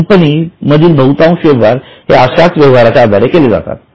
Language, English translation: Marathi, Most of the transactions of companies are based on these transactions